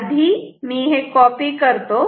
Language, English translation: Marathi, So, let me copy paste